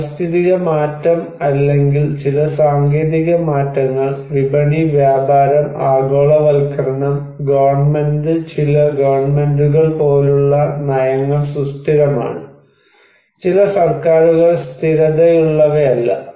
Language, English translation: Malayalam, Environmental change or some technological changes, market and trades, globalization, and government and policies like some governments are stable, some governments are not stable